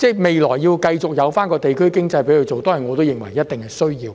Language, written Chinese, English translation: Cantonese, 未來，讓其繼續在該處營運，推動地區經濟，我認為一定是需要的。, Looking ahead I think it is necessary to allow it to continue its operation there to boost the economy of the neighbourhood